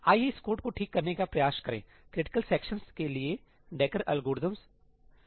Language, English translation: Hindi, Let us try to fix this code: Dekkerís algorithm for critical sections